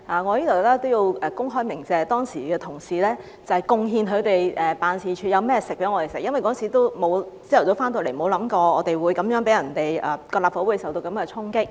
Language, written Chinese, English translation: Cantonese, 我在此也要公開鳴謝當時有同事貢獻他們辦事處的食物給我們，因為當時早上回來，沒有想過立法會會受到這樣的衝擊。, I hereby would also like to publicly thank the colleagues who offered food from their offices to us at that time because when we came back in the morning we did not expect that the Legislative Council Complex would be stormed like that